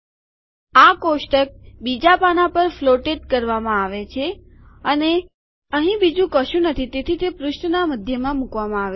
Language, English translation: Gujarati, So now what has happened is this table has been floated to the second page and there is nothing else here so it has been placed at the middle of this page